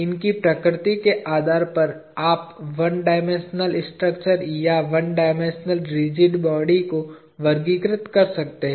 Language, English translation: Hindi, Depending on the nature of these, you can classify the one dimensional structures, or one dimensional rigid bodies